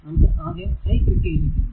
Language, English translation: Malayalam, So, if you see that i is equal to 3